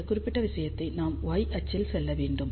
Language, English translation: Tamil, Now in this particular case we have to move along y axis